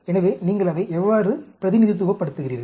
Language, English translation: Tamil, So, how do you represent that